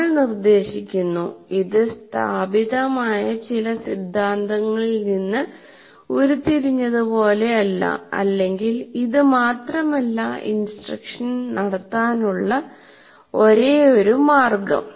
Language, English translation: Malayalam, So we are prescribing, it is not as if it is derived from some what you call well established theory and this is the only way to conduct an instruction